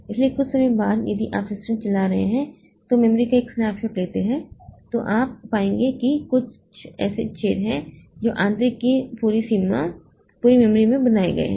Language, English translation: Hindi, So, after some time if you take a snapshot of the memory when the system is running, you will find that there are many such holes that have been created in the entire memory space